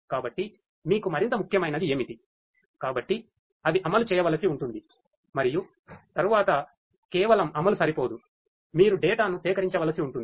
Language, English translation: Telugu, So, what is more important for you; so those will have to be implemented and then just mere implementation is not sufficient you will have to from the data you will have to gather the information